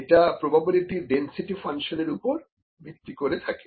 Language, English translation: Bengali, So, one of the ways is the probability density function